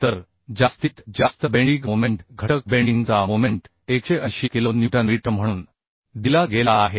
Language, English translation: Marathi, So the maximum bending moment, factor bending moment, has been given as 180 kilo newton meter